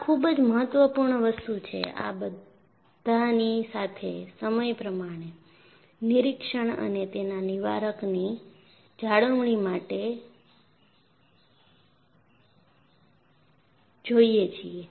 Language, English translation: Gujarati, This is very important; with all this, go for periodic inspection and preventive maintenance